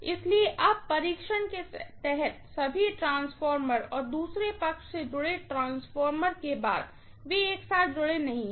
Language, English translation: Hindi, So, now after all the transformer under test and the transformer which is connected to the other side, they are not connected together